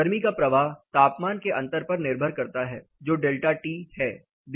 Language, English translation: Hindi, Heat flow depends on the temperature difference that is delta T